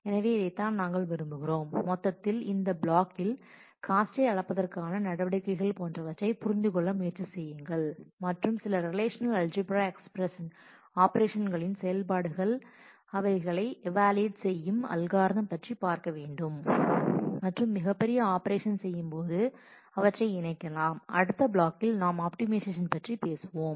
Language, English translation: Tamil, So, this is what we would in totality try to understand out of that in this module we will first define what is the measures of cost and look at the algorithms for evaluating some of the relational algebra operations and then you can combine them to do bigger operations and in the next module we will talk about optimization